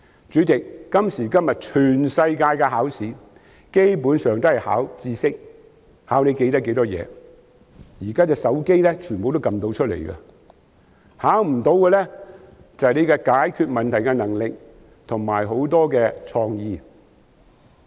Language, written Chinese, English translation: Cantonese, 主席，今時今日全世界的考試基本上都是考核知識，考核學生的記憶力，但所有的答案現時都可以從手機按出來，考試中沒有考核的是解決問題的能力及創意。, President nowadays it is the case all over the world that examinations are basically intended to test students knowledge and memory but all the answers can now be found with a few glides on the mobile phone . What are not tested in examinations are problem solving skills and creativity